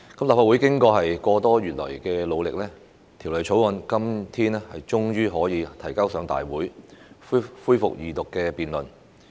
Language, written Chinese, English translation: Cantonese, 立法會經過個多月以來的努力，《條例草案》今天終於可以提交大會，恢復二讀辯論。, After more than a month of hard work by the Legislative Council the Bill is finally tabled today for resumption of the Second Reading debate